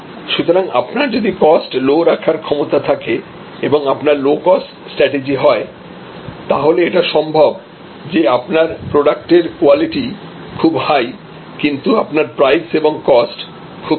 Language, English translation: Bengali, So, if you have a low cost capability and low cost strategy, it is possible that why your product quality will be pretty high, your price your cost will be quite low